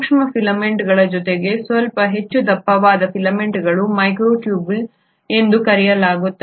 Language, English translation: Kannada, In addition to microfilaments, there are slightly more thicker filaments which are called as microtubules